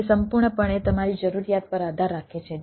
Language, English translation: Gujarati, it totally depends on on your requirement